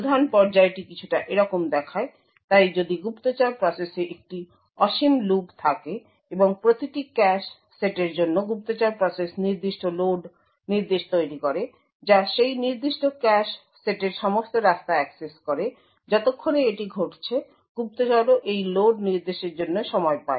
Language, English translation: Bengali, there is an infinite loop in the spy process and for each cache set the spy process creates certain load instructions, which accesses all the ways of that particular cache set, while this is done the spy also times these load instructions